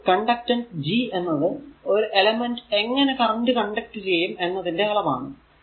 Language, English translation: Malayalam, So, conductance G is a measure of how well an element will conduct your current